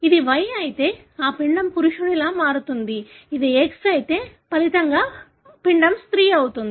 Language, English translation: Telugu, If it is Y, then that embryo, resulting embryo would become a male; if it is X, then the resulting embryo would become a female